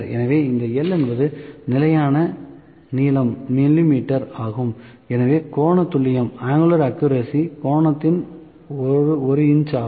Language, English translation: Tamil, So, this L is standard length in mm so, angular accuracy is by 1 second of the angle